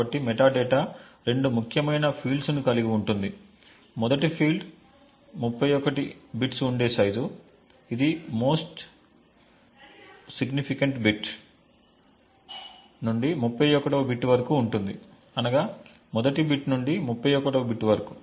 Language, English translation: Telugu, So the metadata comprises of two important fields, one is the size which is of 31 bits starting from the most significant bit which is the 31st bit to the first bit and the in use bit which is of which is the 0th or the least significant bit